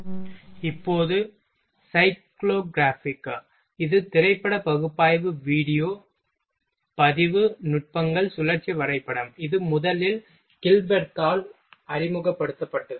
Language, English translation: Tamil, Now, cyclegraph this is the film analysis video recording techniques cycle graph, it was introduced by Gilberth first